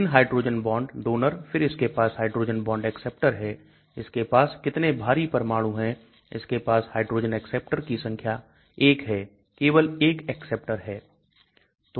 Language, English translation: Hindi, 3 hydrogen bond donors then it has got hydrogen bond acceptors, how many heavy atoms it has got, hydrogen acceptor count 1 only 1 acceptor